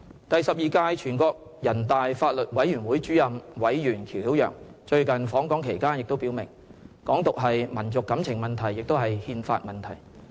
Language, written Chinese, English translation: Cantonese, "第十二屆全國人大法律委員會前主任委員喬曉陽最近訪港期間也表明，"港獨"是"民族感情問題，也是憲法問題"。, During his recent visit to Hong Kong Mr QIAO Xiaoyang former Chairman of the Law Committee of the 12 National Peoples Congress also stated that Hong Kong independence was as much a question of national feeling as it was a question of constitution